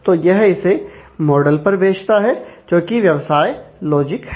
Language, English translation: Hindi, So, it is sends it to the model which, is the business logic here